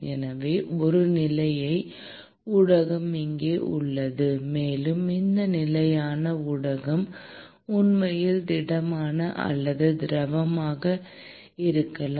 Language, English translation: Tamil, So, a stationary medium is present here, and this stationary medium could actually be solid or a liquid